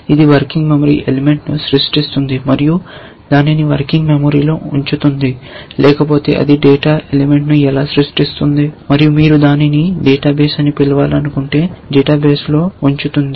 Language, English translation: Telugu, It creates a working memory element and puts it into the working memory, how it otherwise it creates a data element and puts it in the database if you want to call it a database